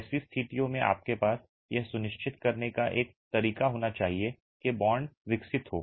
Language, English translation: Hindi, In such situations you must have a way of ensuring that bond is developed